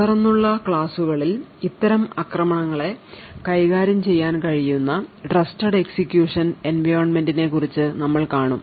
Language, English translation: Malayalam, In the lectures that follow we will be looking at Trusted Execution Environments which can handle these kinds of attacks